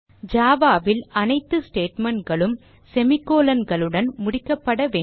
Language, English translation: Tamil, In Java, all statements are terminated with semicolons